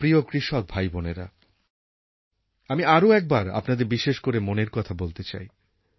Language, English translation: Bengali, My dear farmer brothers and sisters, today I would again like to especially share my Mann Ki Baat with you